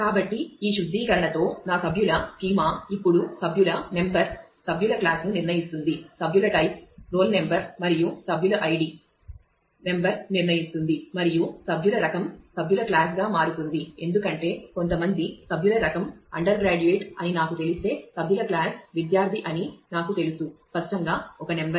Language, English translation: Telugu, So, with this refinement my members schema now turns out to be member number member class member type roll number and id member number determines everything it member type also determines member class, because if I know some member type is undergraduate I know member class is student and so, on key; obviously, is one number